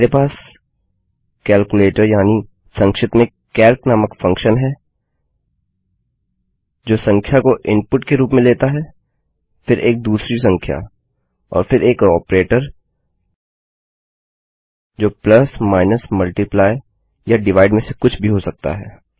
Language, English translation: Hindi, I have got a function called calculator or calc for short, which takes a number as input, then a second number and then an operator which could be either plus minus multiply or divide